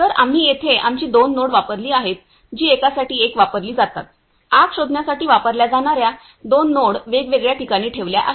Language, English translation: Marathi, So, here we use our two nodes which are used one are used for the one; two node which are placed in different places which are used to detect the fire